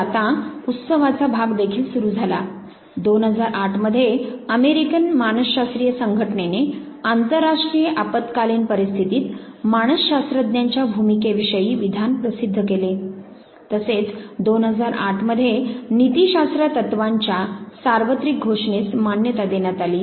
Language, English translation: Marathi, So, now, the celebration part also began, 2008 when the statement on the role of psychologists in international emergencies was released by the American psychological association